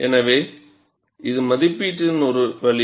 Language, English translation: Tamil, So, this is one way of estimation